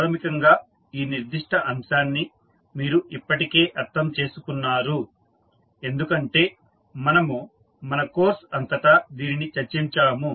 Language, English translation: Telugu, Basically this particular aspect you have already understood because we have discussed throughout our course